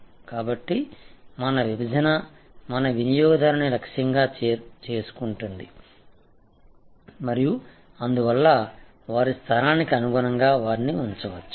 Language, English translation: Telugu, So, your segment your customer target them and therefore, your position them accordingly